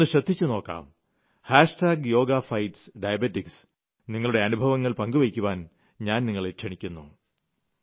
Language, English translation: Malayalam, I urge you to use "Hashtag Yoga Fights Diabetes" I repeat "Hashtag Yoga Fights Diabetes"